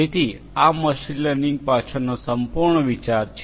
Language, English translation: Gujarati, So, this is the whole idea behind machine learning